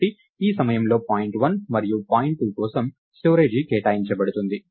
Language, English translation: Telugu, So, at this point the storage for point 1 and point 2 are allocated